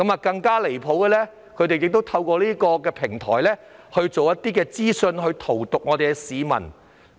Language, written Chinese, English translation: Cantonese, 更離譜的是，他們透過議會的平台散播一些信息荼毒市民。, What is more ridiculous is that they made use of the DC platform to disseminate messages that corrupt the people